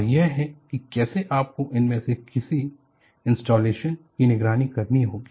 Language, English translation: Hindi, And this is how you have to monitor any of those installations